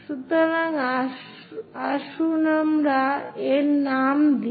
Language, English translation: Bengali, So, let us name this